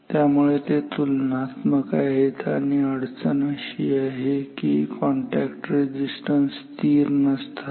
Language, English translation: Marathi, So, they are comparable and more crucial problem is that these contact resistances are not constant